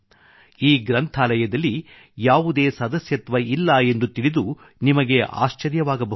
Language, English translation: Kannada, You will be surprised to know that there is no membership for this library